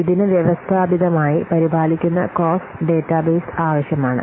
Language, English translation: Malayalam, So it needs systematically maintained cost database